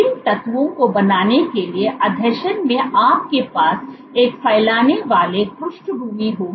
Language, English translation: Hindi, In adhesion to forming these fibers you will have a diffuse background